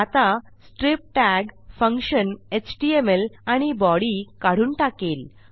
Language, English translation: Marathi, Now this strip tag function must get rid of this html and this body